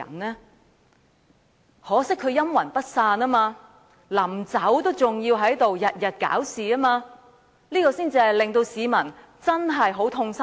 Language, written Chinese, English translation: Cantonese, 很可惜他卻陰魂不散，臨離開卻仍天天"搞事"，這才是令市民最痛心的。, It is a shame that he still haunts us like a phantom and continues to stir up trouble before his departure and that is what the people are most sad